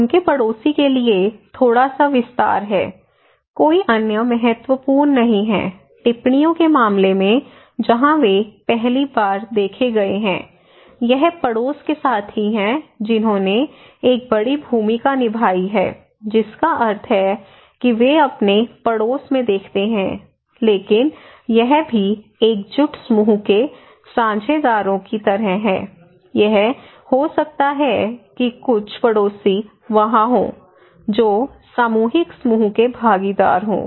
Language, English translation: Hindi, Now, a little bit extends to their neighbour, no other are significant, in case of observations where they first time observed, it is the neighbourhood partners who played a big role that means, they watch in their neighbourhood but also the cohesive group partners like could be that some of the neighbours are there, cohesive group partners